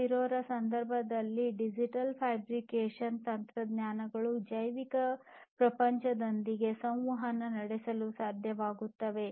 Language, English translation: Kannada, 0, digital fabrication technologies are able to communicate with biological world